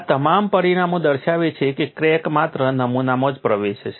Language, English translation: Gujarati, All this result show the crack will penetrate only into the specimen